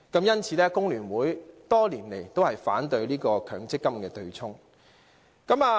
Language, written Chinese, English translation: Cantonese, 因此，工聯會多年來也反對強積金對沖安排。, Therefore the FTU has over the years opposed the MPF offsetting arrangement